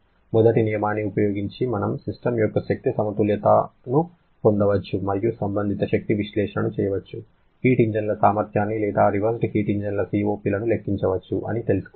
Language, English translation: Telugu, Using first law, we can get an energy balance of a system and can perform corresponding energy analysis, calculate the efficiency of heat engines or COP’s of reversed heat engines